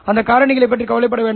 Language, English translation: Tamil, Don't worry about those factors